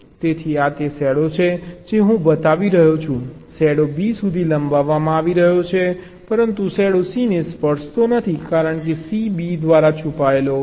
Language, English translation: Gujarati, the shadow is being extended to b, but the shadow does not touch c because c is hidden by b right